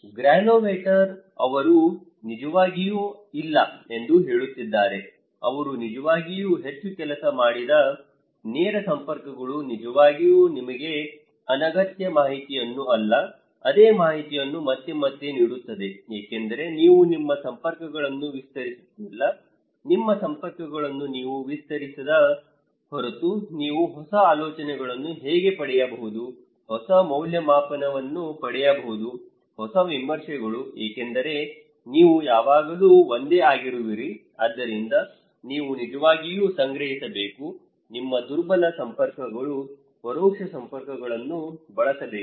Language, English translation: Kannada, Granovetter; he is saying no actually, a direct networks they do not really work much, this actually give you redundant informations, same informations again and again because you are not expanding your networks, unless you expand your networks how you can get new ideas, new evaluation, new reviews because you are always in the same one so, you need to actually collect, use your weak networks, indirect networks